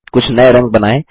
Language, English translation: Hindi, Create some new colors